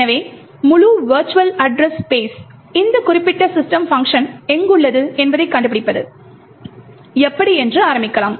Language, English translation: Tamil, So, let us start with how we find out where in the entire virtual address space is this particular function system present